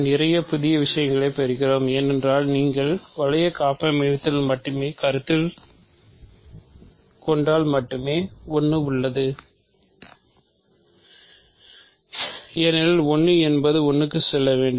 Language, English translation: Tamil, So, we do get lots of a new objects because, if you insist on only if you only consider ring homomorphism then there is exactly 1 because, 1 has to go to 1